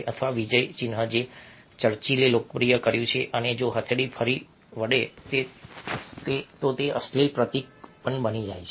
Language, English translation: Gujarati, or the victory sign that a churchill popularized, ok, and if the palm turns again, it becomes a vulgar symbol